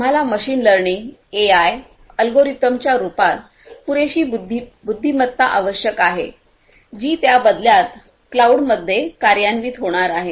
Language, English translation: Marathi, We need huge processing capabilities, we need adequate intelligence in the form of machine learning AI algorithms which in turn are going to be executed at the cloud right